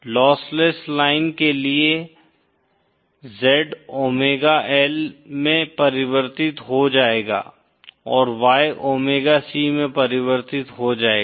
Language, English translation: Hindi, For a lossless line, Z will get converted to omega L and Y will be converted to omega C